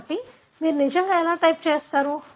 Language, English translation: Telugu, So, how do you really type